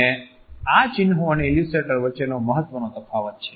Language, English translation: Gujarati, And this is the major difference between emblem and illustrator